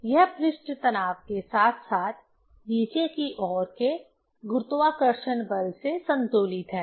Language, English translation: Hindi, And it is balanced with the surface tension as well as the gravitational force downwards